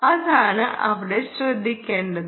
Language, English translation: Malayalam, that is the key here